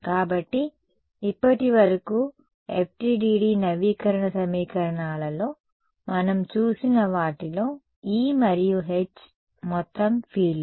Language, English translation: Telugu, So, in the so, far what we have seen in the FDTD update equations, the E and H are total fields right